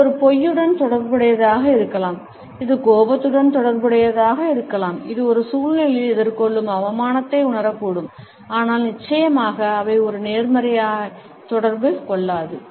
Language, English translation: Tamil, These indicate a desire to avoid it may be associated with a lie, it may be associated with anger, it may be associated with feeling shame faced in a situation, but definitely, they do not communicate a positivity